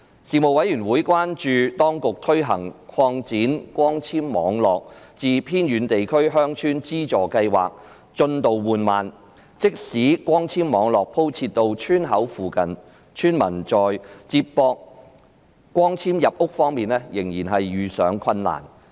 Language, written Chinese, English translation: Cantonese, 事務委員會關注到，當局推行擴展光纖網絡至偏遠地區鄉村資助計劃的進度緩慢，即使光纖網絡鋪設到村口附近，村民在連接光纖入屋方面仍遇上困難。, The Panel expressed concern about the slow progress in implementing the Subsidy Scheme to Extend Fibre - based Networks to Villages in Remote Areas . Even if fibre - based networks were rolled out to the vicinity of the entrances of villages villagers still encountered difficulties in connecting their homes to the fibre - based networks